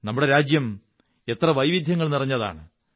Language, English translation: Malayalam, Our country is full of such myriad diversities